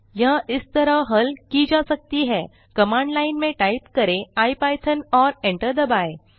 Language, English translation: Hindi, It can be solved as through command line you can type ipython and hit Enter